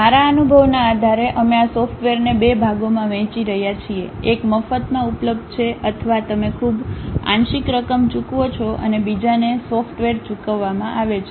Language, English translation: Gujarati, Based on my experience, we are dividing these softwares into two parts, one freely available or you pay a very partial amount and other one is paid software